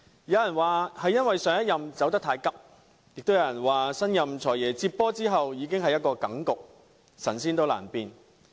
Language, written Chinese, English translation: Cantonese, 有人說，上一任財政司司長離職太急，也有人說，新任"財爺"接手時一切已成定局，神仙難變。, Some may say that the previous Financial Secretary resigned too hastily while some others regard that it was too late for the new Financial Secretary to make changes as everything was already settled when he took over